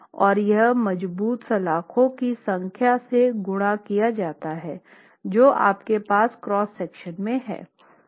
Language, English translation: Hindi, And this is multiplied by the number of reinforcing bars that you have in the cross section